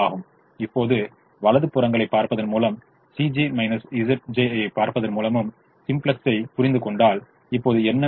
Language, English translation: Tamil, now if we understand simplex, by looking at the right hand sides and by at looking at c j minus z j